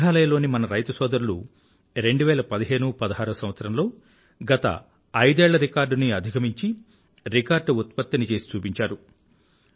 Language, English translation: Telugu, Our farmers in Meghalaya, in the year 201516, achieved record production as compared to the last five years